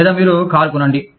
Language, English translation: Telugu, Or, you buy a car